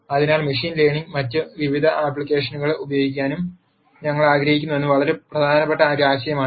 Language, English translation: Malayalam, So, that is a very important idea that we want to use in machine learning and various other applications